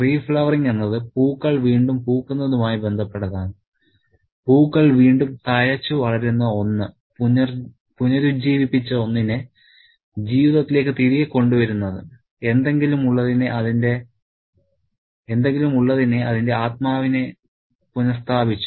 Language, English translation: Malayalam, Re flowering is something to do with flowers blooming again, one that flowers or flourishes again, something that is rejuvenated, brought back to life, once the spirit, something that has its spirit restored